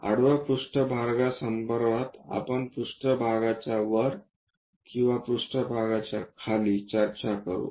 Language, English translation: Marathi, With respect to that horizontal plane, we will talk about above the plane or below the plane